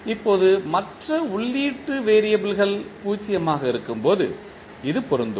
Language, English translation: Tamil, Now, this is applicable when the other input variables are 0